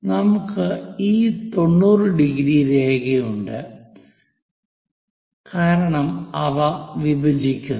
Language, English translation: Malayalam, We have this 90 degrees line because they are bisecting